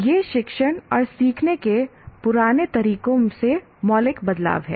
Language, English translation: Hindi, This is a fundamental shift from the earlier methods of teaching and learning